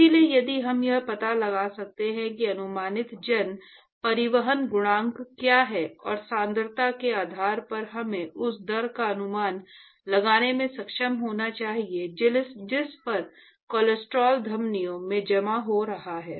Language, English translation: Hindi, So, if we can find out what is the approximate mass transport coefficient and based on the concentrations we should be able to estimate the rate at which the cholesterol is being deposited in the arteries